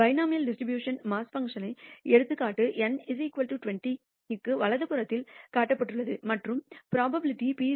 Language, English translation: Tamil, As an example of the binomial distribution mass function is shown on the right hand side for n is equal to 20 and taking the probability p is equal to 0